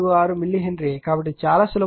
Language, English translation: Telugu, 646 millihenry so, very simple it is right